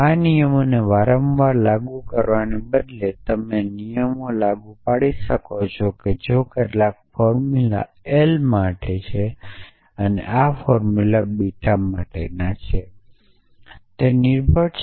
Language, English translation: Gujarati, Instead of having to apply these rules repeatedly you can keep applying the rules if some formula l for and some formula beta for what is the truthfully of this